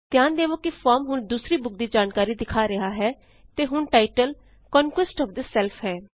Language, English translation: Punjabi, Notice that the form shows the second books information and the title is now Conquest of self